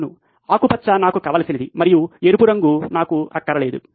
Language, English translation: Telugu, Yes, green is the stuff I want and red is the stuff I don’t want